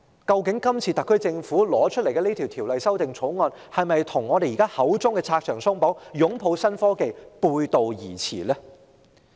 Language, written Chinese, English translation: Cantonese, 究竟特區政府提交的《條例草案》，與當局口中的拆牆鬆綁、擁抱新科技是否背道而馳呢？, Is the Bill presented by the Government running counter to the authorities claim of removing hurdles and embracing new technology? . The authorities often talk about removing hurdles